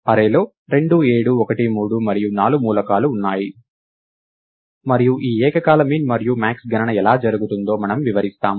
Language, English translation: Telugu, The array has elements 2 7 1 3 and 4, and we just illustrate how this simultaneous min and max calculation happens